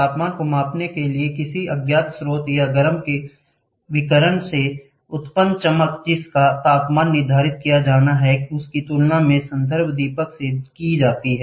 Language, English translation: Hindi, In order to measure the temperature, the brightness generated by the radiation of an unknown source or a hot body whose temperature is to be determined is compared with the reference lamp